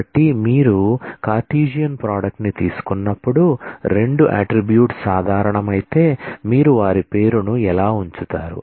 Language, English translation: Telugu, So, if you if 2 attributes are common when you take Cartesian product how do you put their name